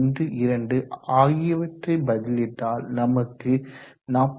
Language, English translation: Tamil, 12 and this comes out to be 45